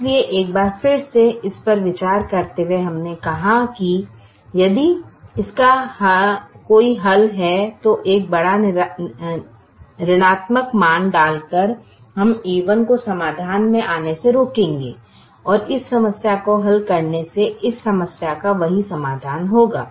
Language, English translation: Hindi, so once again, revisiting this, we said that if this has a solution, then by putting a large negative value we will prevent a one from coming into the solution and solving this problem will give the same solution to that of this problem